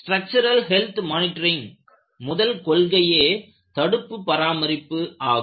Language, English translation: Tamil, Structural health monitoring,the first principle is you will have to do preventive maintenance